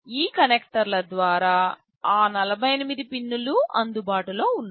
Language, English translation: Telugu, All those 48 pins are available over these connectors